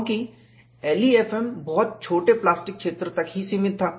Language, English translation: Hindi, Because, LEFM was confined to very small plastic zone